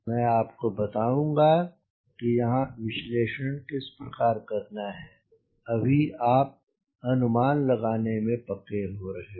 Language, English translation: Hindi, i will tell you how to graduate from here to the analysis so that you are perfecting your estimation